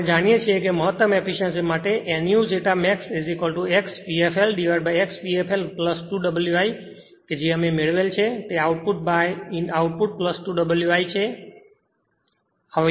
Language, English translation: Gujarati, We know that for maximum efficiency nu zeta max is equal to X p f l upon X p f l plus 2 W i that we have derived that is output by output plus 2 W i right